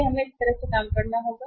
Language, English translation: Hindi, So we will have to work out this way right